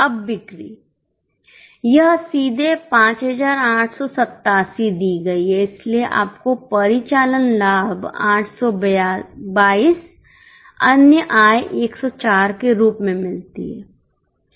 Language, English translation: Hindi, Now the sales, it is directly given 5 887 so you get operating profit as 822 other income 104 so PBI is PBI is 926